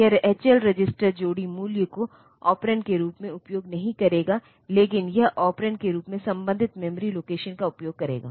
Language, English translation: Hindi, It will not use H L register pair value as the operand, but it will be using the corresponding memory location as the operand